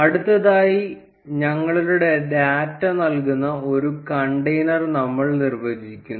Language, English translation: Malayalam, Next, we define a container that will render our data